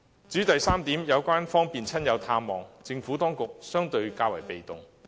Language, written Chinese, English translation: Cantonese, 至於第三點，有關方便親友探望，政府當局角色相對較為被動。, And third about allowing easy access to visiting friends and relatives . The role of the Administration is relatively passive here